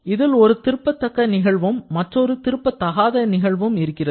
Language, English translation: Tamil, It comprises of one irreversible and a reversible process